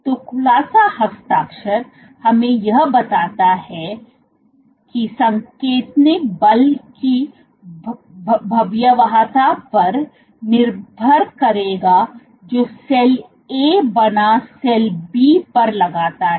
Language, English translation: Hindi, So, the unfolding signature tells you that signaling will depend on the magnitude of forces exerted by cell A versus cell B ok